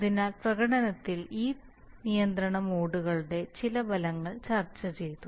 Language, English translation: Malayalam, So some effects of these control modes on performance are discussed